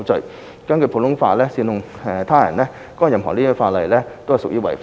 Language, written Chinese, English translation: Cantonese, 而根據普通法，煽動他人干犯任何實質罪行亦屬犯法。, Under common law inciting others to commit any substantive offence is also itself an offence